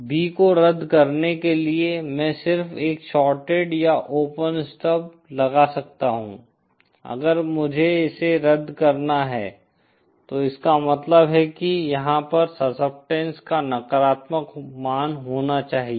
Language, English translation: Hindi, To cancel B in, I can just put a shorted or open stub so if I have to cancel it that means I have to have the corresponding negative value of the succeptance here